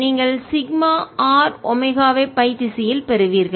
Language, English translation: Tamil, you'll get sigma r, omega in phi direction